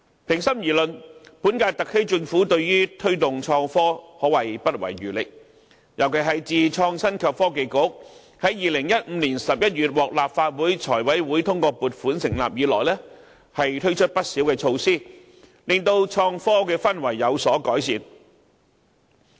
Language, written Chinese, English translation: Cantonese, 平心而論，本屆特區政府對於推動創科可謂不遺餘力，尤其是自從創新及科技局在2015年11月獲立法會財務委員會通過撥款成立以來，推出不少措施，令本港創科的氛圍有所改善。, Honestly I must say that the current - term SAR Government has spared no effort in promoting innovation and technology . In particular since the establishment of the Innovation and Technology Bureau in November 2015 after the approval of the relevant funding application by the Finance Committee of the Legislative Council a number of measures have been implemented to enhance the atmosphere for innovation and technology development in Hong Kong